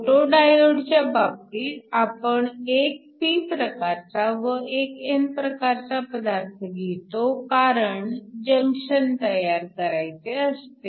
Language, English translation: Marathi, In the case of a photo diode, we use a p and n material so that you form a junction